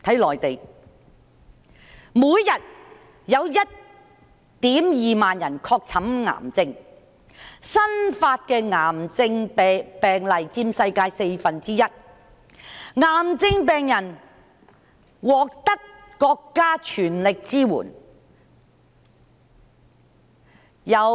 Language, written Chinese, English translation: Cantonese, 內地每天有 12,000 人確診癌症，新發癌症病例佔世界四分之一，癌症病人獲得國家全力支援。, More than 12 000 people are diagnosed with cancer every day in the Mainland and these new cancer cases account for a quarter of the worlds figure . Cancer patients receive full support from the state